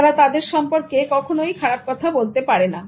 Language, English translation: Bengali, They never say anything bad about them